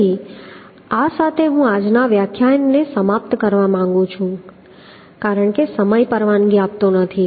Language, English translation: Gujarati, So with this I would like to conclude todays lecture, as time is not permitting